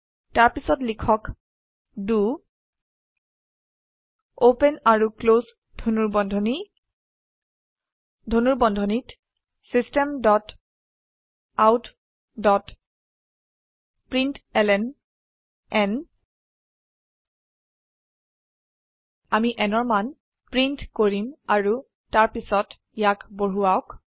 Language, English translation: Assamese, then type do open and close braces Inside the bracesSystem.out.println We shall print the value of n and then increment it